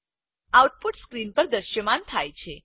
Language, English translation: Gujarati, The output is displayed on the screen